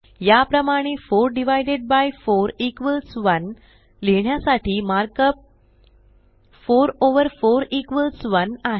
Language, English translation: Marathi, Similarly to write 4 divided by 4 equals 1, the mark up is#160: 4 over 4 equals 1